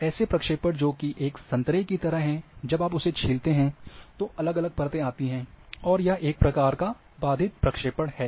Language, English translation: Hindi, There are projections which are like orange when you peel off, then different layer will come and that is interrupted projection